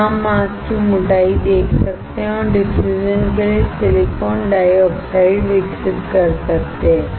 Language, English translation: Hindi, Here, you can see the mask thickness and can grow the silicon dioxide for diffusion